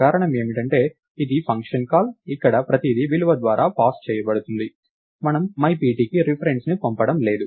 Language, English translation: Telugu, the reason being, this is the function call where everything is pass by value, we are not passing the reference to my pt